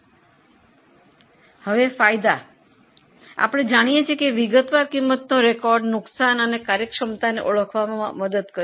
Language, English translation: Gujarati, Since we know detailed cost record, it helps us in identifying losses and efficiencies